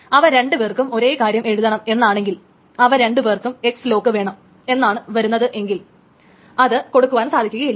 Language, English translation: Malayalam, So if there are two transactions that both of them want to write to the same thing, which is both of them are wanting that X lock, they cannot rate it